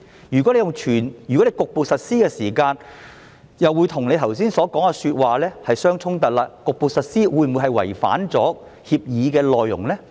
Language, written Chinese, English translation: Cantonese, 如果是局部實施時，這樣又會與局長剛才說的話相衝突，那麼局部實施會否違反協議的內容呢？, In case it is a partial implementation this will be contradictory to the Secretarys explanation earlier . Then will the partial implementation go against the content of the Convention?